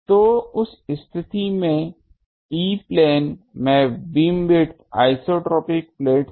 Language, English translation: Hindi, So, in that case bandwidth in E plane since isotropic plates